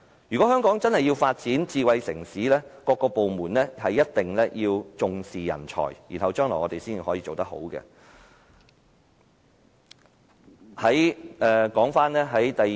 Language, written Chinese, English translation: Cantonese, 如果香港真的要發展成為智慧城市，各個部門便必須重視人才，我們將來才能做得更好。, If we want Hong Kong to develop into a smart city different departments must attach importance to talents . This is the only way to a better future